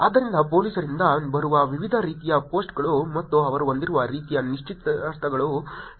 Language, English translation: Kannada, So, here are the different types of post that come from police and the kind of engagement that they have